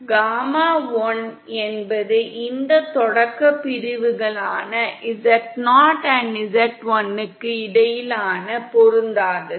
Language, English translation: Tamil, And gamma 1 is the mismatch between this beginning sections z0 & z1